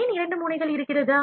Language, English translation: Tamil, Why two nozzles are there